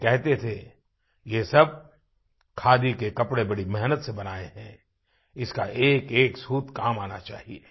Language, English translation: Hindi, He used to say that all these Khadi clothes have been woven after putting in a hard labour, every thread of these clothes must be utilized